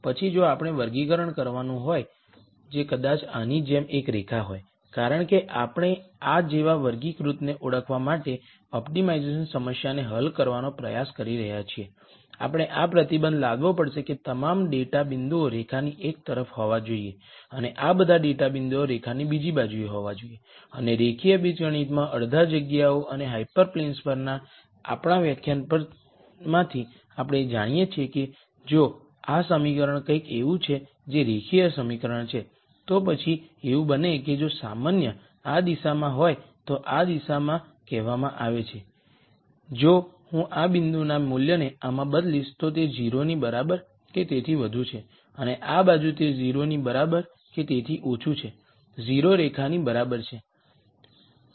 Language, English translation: Gujarati, Then if we were to do a classifier which probably is a line like this then, as we are trying to solve an optimization problem to identify a classifier like this, we have to impose the constraint that all these data points will have to be on one side of the line and all of these data points will have to be on the other side of line and from our lecture on half spaces and hyper planes in linear algebra we know that if this equation is something like this which is linear equation, then it might be that if the normal is in this direction then this direction is said that if I substitute a value of this point into this it is greater than equal to 0 and on this side it is less than equal to 0 with 0 being the line